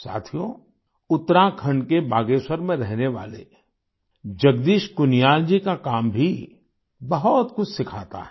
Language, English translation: Hindi, the work of Jagdish Kuniyal ji, resident of Bageshwar, Uttarakhand also teaches us a lot